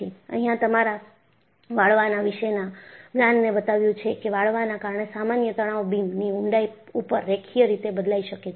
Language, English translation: Gujarati, And, your knowledge of bending, as shown that, normal stresses due to bending, can vary linearly over the depth of the beam